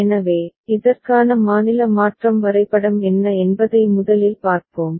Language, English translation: Tamil, So, first let us see what would be the state transition diagram for this one